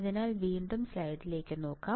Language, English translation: Malayalam, So, let us see again come back to the slide